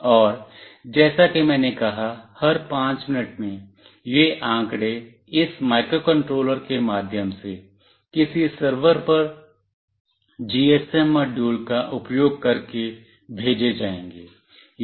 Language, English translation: Hindi, And as I said every 5 minutes, these data will be sent through this microcontroller using a GSM module to some server